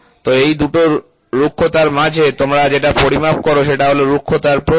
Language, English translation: Bengali, So, this is the between two roughness you what you measure is called as the roughness width